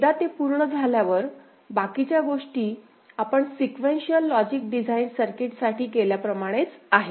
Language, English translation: Marathi, Once it is done, rest of the thing is as we had done for sequential logic design circuit ok